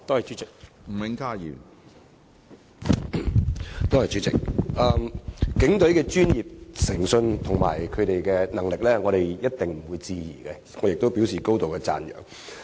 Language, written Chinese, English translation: Cantonese, 主席，警隊的專業誠信和能力毋庸置疑，我亦要表示高度讚揚。, President the professionalism integrity and capability of the Police Force are indisputable for which I have to commend highly